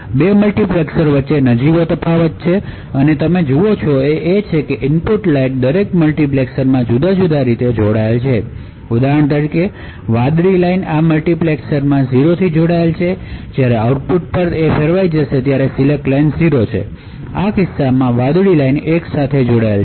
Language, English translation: Gujarati, There is a minor difference between the 2 multiplexers and what you see is that the input line is actually connected differently in each multiplexer for example over here, the blue line is connected to 0 in this multiplexer and therefore will be switched to the output when the select line is 0, while in this case the blue line is connected to 1